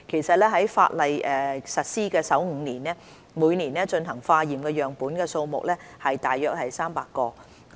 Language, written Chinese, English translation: Cantonese, 在法例實施首5年，每年進行化驗的樣本數目大約有300個。, In the first five years of implementation of the legislation about 300 samples will be tested each year